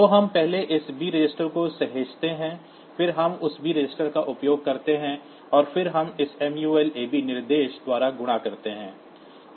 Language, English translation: Hindi, So, we first save this b register, then we use that b register to get a copy of a and then we multiply by this mul ab instruction